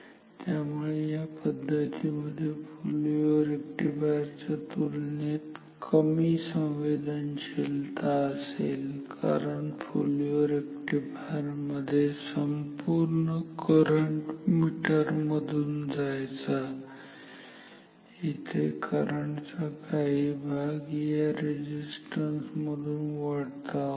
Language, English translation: Marathi, So, the sensitivity of this scheme will be less lesser compared to the full wave rectifier because for full wave rectifier entire current must flow through the meter here part of the current is bypassed through this resistance